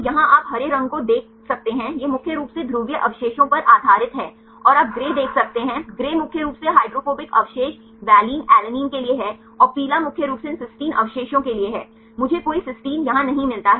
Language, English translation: Hindi, So, here you can see the green this is mainly for the polar residues based on the notations, and you can see the gray, gray is mainly for the hydrophobic residues valine alanine and the yellow is mainly for these cysteine residues I do not find any cysteine here